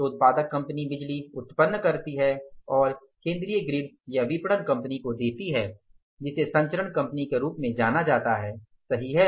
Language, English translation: Hindi, So, generation company generates the power and that gives to the central grid or the marketing company who is known as the transmission company